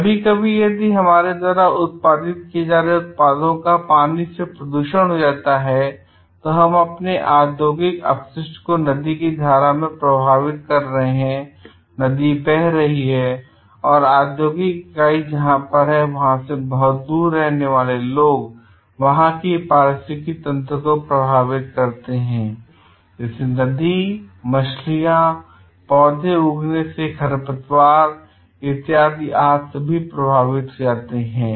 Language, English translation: Hindi, Sometimes, what happens the if the water gets polluted by maybe the products that we are producing and we are throwing our waste into the stream and the river flows and maybe people from a very distant place away from where a factory situated gets affected the ecosystem in the river, the fishes, the plants gets weeds gets affected